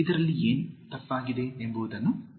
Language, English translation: Kannada, Identify what is wrong in this